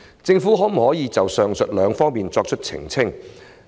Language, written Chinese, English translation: Cantonese, 政府可否就上述兩方面作出澄清？, Can the Government clarify these two points?